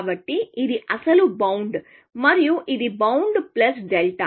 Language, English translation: Telugu, So this was the original bound, and this was a bound plus delta